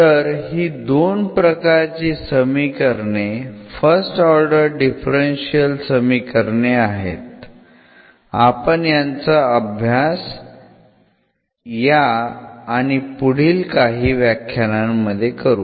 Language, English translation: Marathi, So, these are the two types of first order differential equations we will be covering in this and the next few lectures